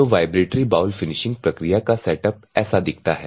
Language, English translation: Hindi, So, this is how the vibratory bowl finishing process setup look like